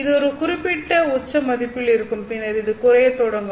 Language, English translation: Tamil, You know, it would be at certain peak value and then it would start to drop like this